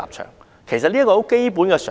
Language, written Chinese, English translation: Cantonese, 這其實是很基本的常識。, That is actually basic common sense